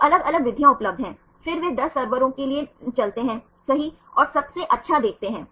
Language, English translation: Hindi, So, different methods are available, then they run for in the 10 servers right and see the best